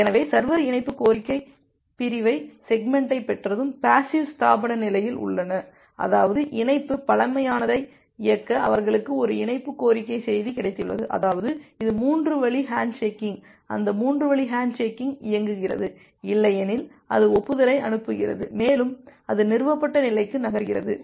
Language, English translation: Tamil, So, once the server has received the connection request segment it is in the passive establishment state; that means, it has got a connection request message they need execute the connection primitive; that means, if it is a 3 way hand shaking it execute that 3 way hand shaking, otherwise it send the acknowledgement and it moves to the established state